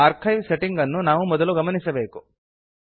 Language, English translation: Kannada, First we must check the archive settings